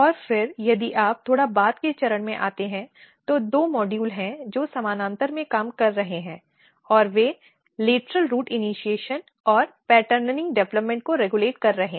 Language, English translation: Hindi, And then if you come slightly later stage there are two modules which are working in parallel and they are regulating lateral root initiation and patterning development